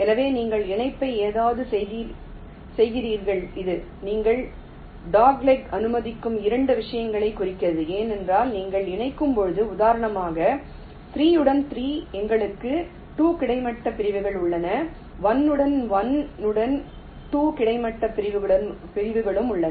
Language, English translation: Tamil, so you make the connection something like this, which means two things: that you are allowing doglegs because that when you are connecting, say for example, three with three, we have two horizontal segments, one with one, we have also two horizontal segments